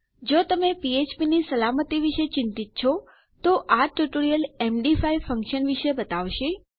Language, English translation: Gujarati, If your concerned about php security, then this tutorial will take you through the MD5 function